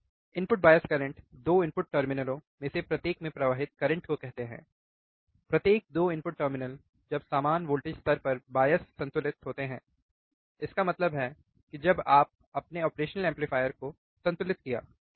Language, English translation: Hindi, Input bias current can be defined as the current flowing into each of the 2 input terminals, each of the 2 input terminals, when they are biased to the same voltage level when the op amp is balanced; that means, that when you balance your operational amplifier, right